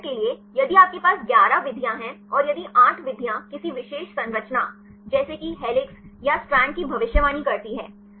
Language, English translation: Hindi, For example, if you have 11 methods and if the 8 methods predicts a particular structure like helix or strand